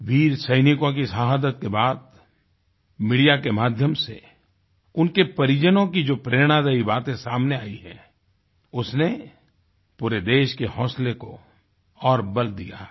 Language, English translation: Hindi, The martyrdom of these brave soldiers brought to the fore, through the media, touching, inspiring stories of their kin, whichgive hope and strength to the entire country